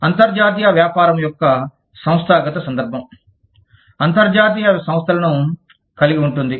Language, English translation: Telugu, The institutional context of international business, includes international organizations